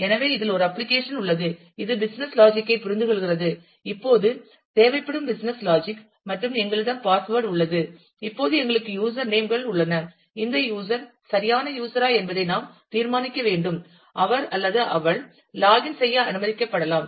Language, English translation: Tamil, So, at this there is an application which, deciphers the business logic which says that, business logic required here is we have a password and we have a user names now, we have to decide whether this user is a valid user and whether, he or she can be allowed to login